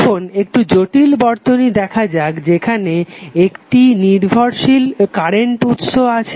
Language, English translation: Bengali, Now, let see slightly complex circuit where we have one dependent current source